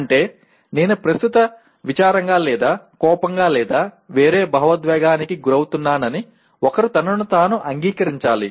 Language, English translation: Telugu, That means one has to acknowledge to himself or herself that I am presently feeling sad or angry or some other emotion